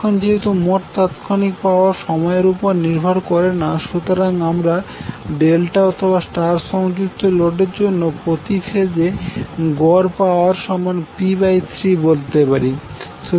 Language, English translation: Bengali, Now since the total instantaneous power is independent of time, you can say the average power per phase for the delta or star connected load will be p by 3